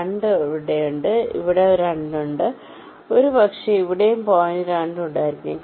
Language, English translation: Malayalam, similarly, lets say there is a point two here, there is a point two here may be there is a point two here